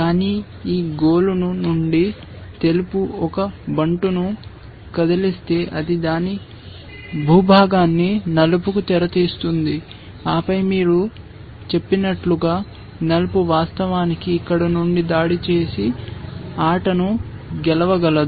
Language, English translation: Telugu, But the moment white moves one pawn from this chain, it opens its territory to black and then, black can actually as you might say, invade from here and win the game essentially